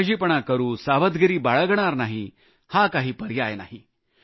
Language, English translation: Marathi, Becoming careless or lackadaisical can not be an option